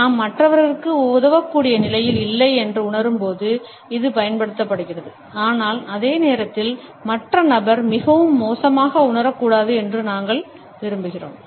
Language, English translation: Tamil, This is used when we feel that we are not in a position to help others, but at the same time, we want that the other person should not feel very bad